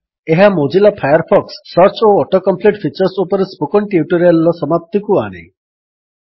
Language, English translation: Odia, Welcome to the Spoken tutorial on the Mozilla Firefox Search and Auto complete features